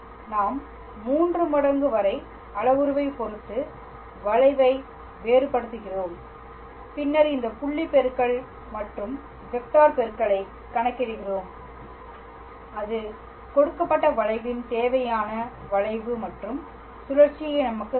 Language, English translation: Tamil, We just differentiate the curve with respect to the parameter t up to 3 times and then we calculate this dot product and cross product and that will give us the required curvature and torsion of a given curve